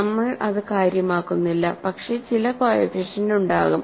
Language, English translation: Malayalam, So, coefficients we do not care, but there will be some coefficients